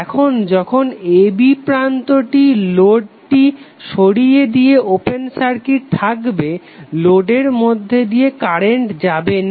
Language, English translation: Bengali, Now when the terminals a b are open circuited by removing the load, no current will flow through the load